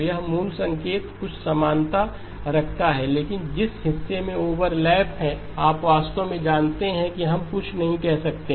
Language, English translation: Hindi, So it has some resemblance to the original signal but in the part where there is overlap, you know really we cannot say anything